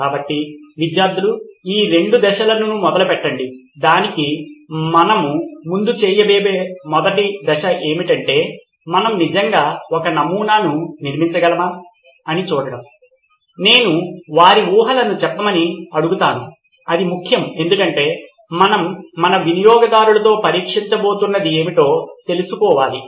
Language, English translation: Telugu, So over to you guys for the two steps for the first step we are going to do, is to see if we can actually build a prototype before that I will ask them to state their assumptions, that is important because we need to find out what it is that we are going to test with our users